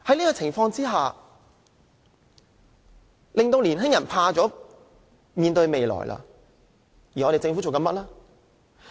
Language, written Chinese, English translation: Cantonese, 這景況令年輕人害怕面對未來，而政府做了甚麼呢？, This situation makes young people scare to face their future . What has the Government done?